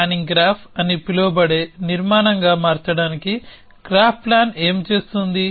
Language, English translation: Telugu, What graph plan does is to convert it into structure called a planning graph